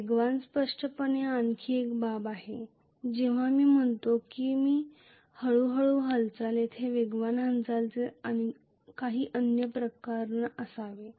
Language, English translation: Marathi, There is another case very clearly when I say there is slow movement there should be some other case with faster movement